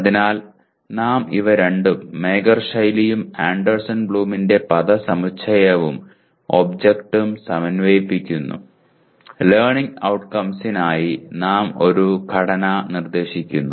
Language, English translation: Malayalam, So we are combining these two Mager style and the phrase and object of Anderson Bloom into our present, we are proposing a structure for the learning outcomes